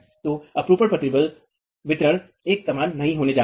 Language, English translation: Hindi, So, the shear stress distribution is not going to be uniform